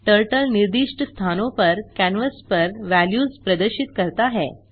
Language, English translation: Hindi, Turtle displays the values on the canvas at the specified positions